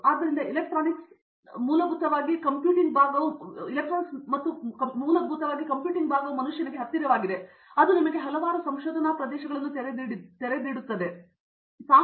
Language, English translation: Kannada, So, the electronics and basically the compute part of the electronics has become closer to the man kind and that has opened up several you know research areas